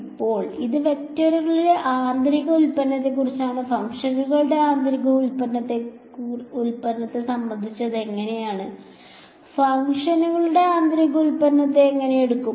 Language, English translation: Malayalam, Now so, this is about inner product of vectors, how about inner product of functions, how do we take inner products of functions